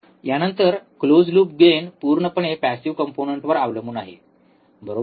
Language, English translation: Marathi, Next, close loop gain depends entirely on passive components, right